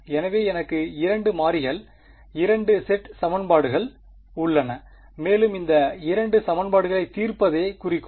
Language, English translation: Tamil, So, I have 2 sets of equations in 2 variables and the goal is to solve these 2 equations